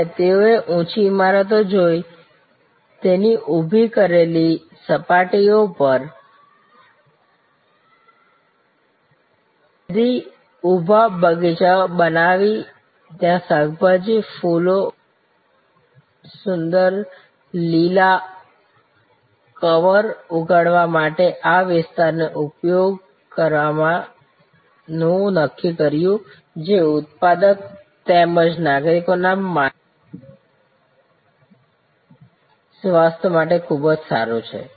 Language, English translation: Gujarati, And the decided to look at this area of urban, vertical gardens using the vertical surface of tall high rise buildings to grow vegetables, flowers and beautiful green cover which is productive as well as very good for mental health of citizens